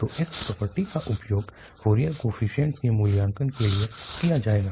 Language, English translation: Hindi, So, that property exactly will be used for evaluating Fourier coefficients